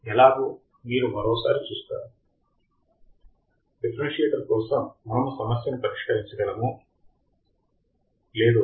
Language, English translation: Telugu, You will once again see how we can solve the problem for a differentiator